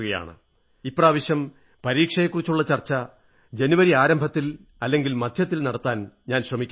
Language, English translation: Malayalam, It will be my endeavour to hold this discussion on exams in the beginning or middle of January